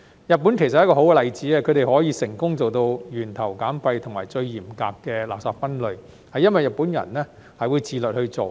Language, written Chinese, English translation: Cantonese, 日本其實是一個好例子，他們可以成功做到源頭減廢及最嚴格的垃圾分類，這是因為日本人會自律去做。, Japan is indeed a good example . It has succeeded in reducing waste at source and implementing the most stringent waste separation arrangement because the Japanese people are self - disciplined enough to do so and consider it a civic responsibility